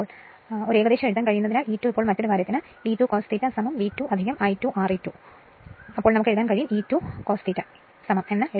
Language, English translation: Malayalam, Now, as an approximation you can write for the E 2 now E 2 now another thing you can write the E 2 cos delta is equal to V 2 plus I 2 R e 2 that also we can write E 2 cos delta is equal to